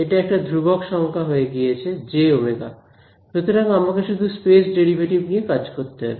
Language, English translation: Bengali, It is just become a constant number j omega so; I have to deal only with the space derivatives